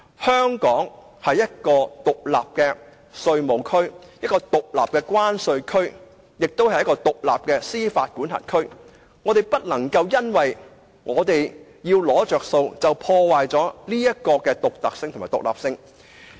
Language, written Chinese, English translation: Cantonese, 香港是一個獨立的稅務區、獨立的關稅區，以及獨立的司法管轄區，我們不能夠因為要"攞着數"，便破壞這種獨特的獨立性。, As a separate taxation zone a separate customs territory and a separate jurisdiction Hong Kong cannot compromise its uniqueness and independence for the sake of getting gains